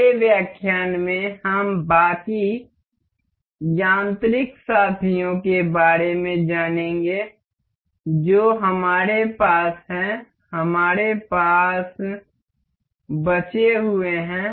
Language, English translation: Hindi, ah In the next lecture, we will go about the rest of the mechanical mates that we have we have left over